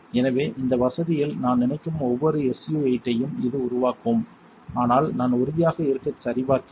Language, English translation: Tamil, So, this will develop almost every SU 8 that I can think of in this facility, but I would check just to be sure